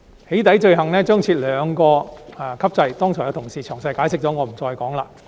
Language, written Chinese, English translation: Cantonese, "起底"罪行將設立兩級制，剛才已有同事詳細解釋了，我便不再重複。, A two - tier structure will be set up for the offence of doxxing . As some colleagues have already elaborated on this earlier I will not repeat it